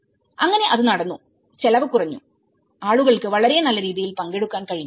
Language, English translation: Malayalam, So, in that way, it has come, the cost has come down and people were able to participate in much progressive way